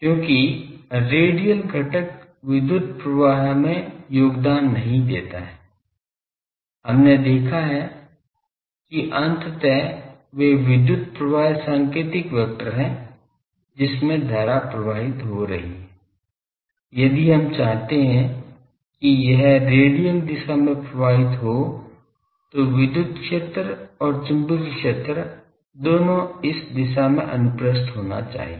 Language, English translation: Hindi, Because, radial component does not contribute to the power flow, we have seen that those ultimately power flow Pointing vector in which the direction the current is flowing, if we want that it should flow in the radial direction then both electric field and magnetic field they should be transverse to these direction